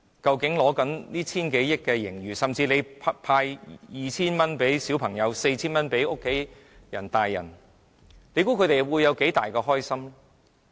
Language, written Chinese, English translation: Cantonese, 究竟坐擁千億元盈餘的政府分別向小朋友和成人派 2,000 元及 4,000 元，市民會有多高興？, When the Government sitting on hundreds of billions of dollars of surplus gives out 2,000 and 4,000 to each child and adult respectively how happy will they be?